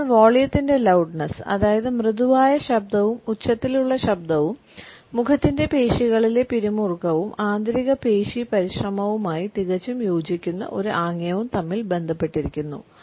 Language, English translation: Malayalam, So, loudness of volume between softness and loudness can differentiate in correlation often with a lax or tense facial musculature and gesture perfectly congruent with the internal muscular effort